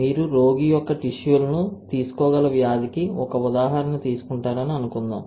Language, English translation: Telugu, Suppose you take an example of for disease where you can take the cells of the patient